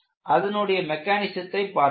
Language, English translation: Tamil, So, this is the mechanism